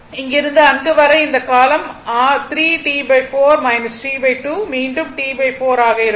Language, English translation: Tamil, This duration also 3 T by 4 minus t by 2 will be again T by 4 same thing right